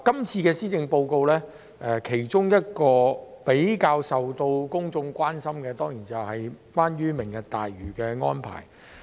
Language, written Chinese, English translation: Cantonese, 這份施政報告較受公眾關注的當然是有關"明日大嶼"的安排。, In this Policy Address the arrangement for Lantau Tomorrow has certainly attracted more public attention